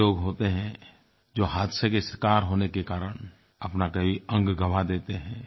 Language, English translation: Hindi, There are some people who lose a limb or body part in an accident